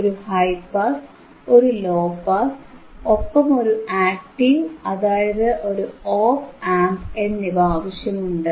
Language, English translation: Malayalam, I will need a high pass, I will need a low pass, and I have to use an active, means, an op amp